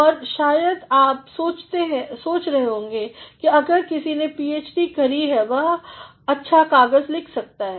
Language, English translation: Hindi, And, you might be thinking that, if somebody has done a PhD one can write a good paper